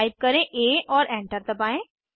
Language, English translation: Hindi, Type a and press Enter